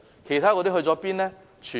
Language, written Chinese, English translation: Cantonese, 其他的何去何從呢？, Where has the rest ended up?